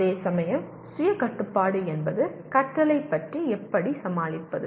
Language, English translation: Tamil, Whereas self regulation means how do I manage myself to go about learning